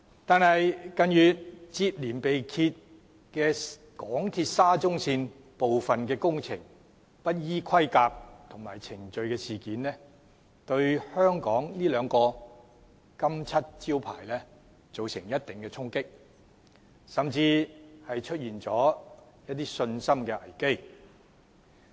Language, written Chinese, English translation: Cantonese, 但是，香港鐵路沙田至中環線近月接連被揭部分工程不依規格及程序施工的事件，對香港這兩面金漆招牌造成一定的衝擊，甚至導致信心危機。, Nevertheless in recent months non - compliance of requirements and procedures has been discovered in some works of MTRs Shatin to Central Link SCL project . This has dealt a blow to the two good reputations of Hong Kong mentioned above and even created a confidence crisis